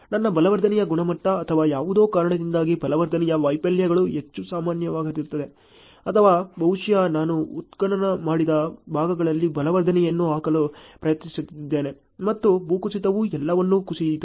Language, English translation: Kannada, Maybe because of my quality of reinforcement or something, reinforcement failures are more common their or maybe I have tried to put in the reinforcement in the excavated portions and landslide has collapsed everything